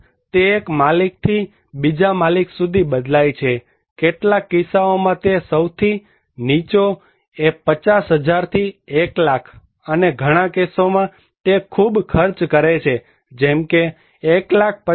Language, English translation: Gujarati, The cost, it varies from owner to owner, in some cases it is; the lowest one is 50,000 to 1 lakh and but it is a highly cost like 1